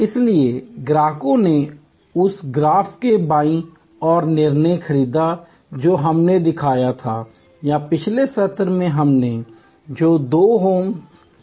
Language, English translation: Hindi, So, customers purchased decision on the left side of that graph that we showed or the two hams that we showed in the previous session